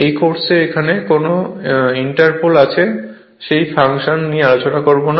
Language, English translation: Bengali, We will not discuss about the function why inter pole is for this course inter pole is there